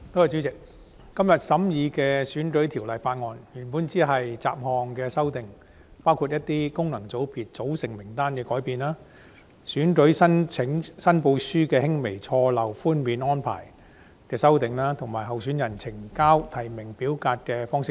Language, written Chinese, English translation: Cantonese, 主席，今天審議的《2019年選舉法例條例草案》原本只關乎雜項修訂，包括功能界別組成人士名單的修訂、選舉申報書輕微錯漏寬免安排的修訂，以及候選人呈交提名表格的方式等。, President the Electoral Legislation Bill 2019 the Bill under consideration today originally only concerned miscellaneous amendments including amendments to the lists of persons comprising functional constituencies FCs the relief of minor errors or omissions in election returns and the way nomination forms are to be submitted by candidates